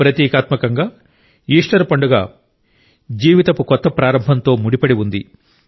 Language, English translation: Telugu, Symbolically, Easter is associated with the new beginning of life